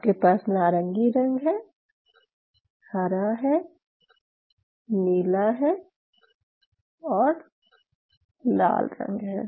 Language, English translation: Hindi, You may have a orange one you may have a green one, you may have a blue one, you have a red one